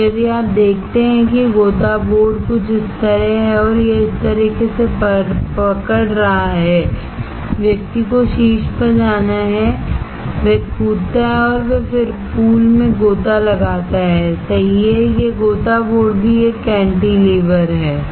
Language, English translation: Hindi, So, if you see dive board is something like this, it is holding like this, the person has to go on the top, he jumps and then he dives into the pool, correct, this dive board is also a cantilever